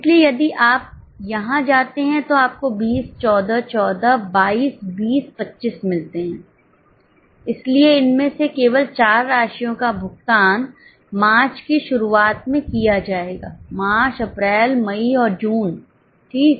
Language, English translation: Hindi, So, if you go here you have got 20 14 14, 14, 20 25 So, these four amounts only will be paid from the beginning of March, March, April, May and June